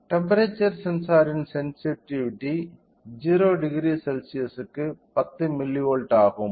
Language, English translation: Tamil, So, the sensitivity of temperature sensor is 10 milli volt per degree centigrade